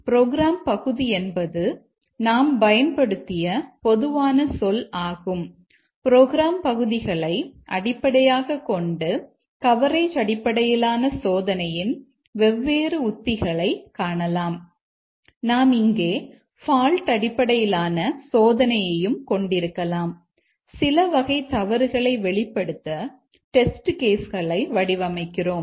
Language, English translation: Tamil, So, the program element is a generic term we have used and based on what we consider as program element, we will have different strategies of coverage based testing